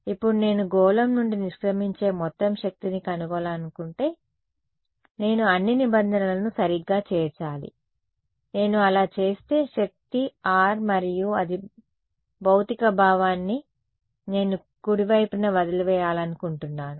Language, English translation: Telugu, Now if I want to find out the total power leaving the sphere I should include all the terms right, if I do that I will find out that the power is independent of r and that makes the physical sense the I want power leaving at right should we will not change